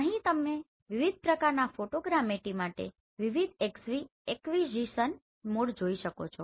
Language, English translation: Gujarati, So here you can see different acquisition mode for this different types of Photogrammetry